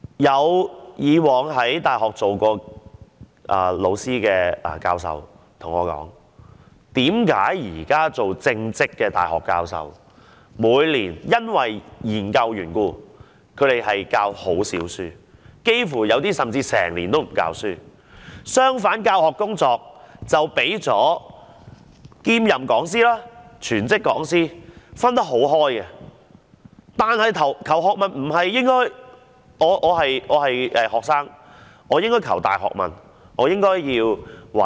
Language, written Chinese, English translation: Cantonese, 以往在大學授課的教授跟我解說，由於現在正職的大學教授，每年要進行研究緣故，導致他們減少授課，有些人甚至幾乎一整年也不曾授課；相反，兼任講師及全職講師的教學工作卻分得很清楚，但求學態度不應如此。, Some professors who used to teach in universities told me that since all incumbent university professors have to conduct researches all year round they seldom give lessons to students; some even do not give a single lesson in one year . On the contrary the teaching work of part - time and full - time lecturers is very clear . But that should not be the proper learning attitude for students